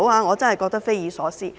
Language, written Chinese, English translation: Cantonese, 我真的覺得匪夷所思。, I really find it inconceivable